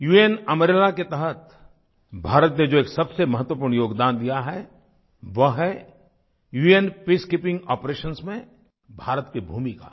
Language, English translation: Hindi, India's most important contribution under the UN umbrella is its role in UN Peacekeeping Operations